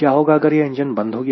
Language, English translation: Hindi, what will happen if the engine starts off